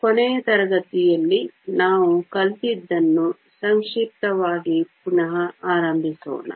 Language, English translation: Kannada, Let us start with the brief recap of what we learned in the last class